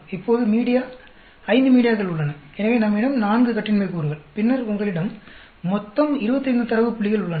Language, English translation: Tamil, Now media there are 5 media, so we have 4 degrees of freedom, and then, total you have 25 data points